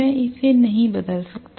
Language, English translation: Hindi, I just cannot change it